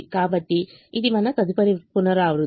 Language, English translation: Telugu, so this is our next iteration